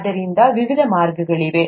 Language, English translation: Kannada, So there are various ways